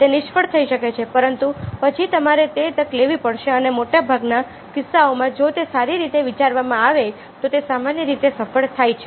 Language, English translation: Gujarati, it might fail, but then you will have to take that chance and in most cases, if it is well thought out, it generally succeeds